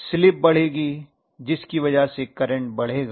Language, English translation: Hindi, The slip will be increasing because of which the current will increase